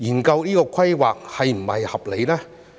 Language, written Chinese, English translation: Cantonese, 究竟這種規劃是否合理？, Is this kind of planning reasonable?